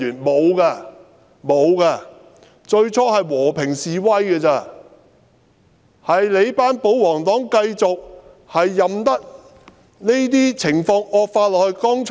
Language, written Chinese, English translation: Cantonese, 沒有，最初只有和平示威，只是那些保皇黨任由情況繼續惡化。, None . At first there were only peaceful demonstrations . It is only the pro - Government camp that allowed the situation to deteriorate